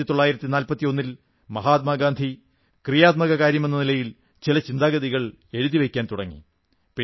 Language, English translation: Malayalam, In 1941, Mahatma Gandhi started penning down a few thoughts in the shape of a constructive Programme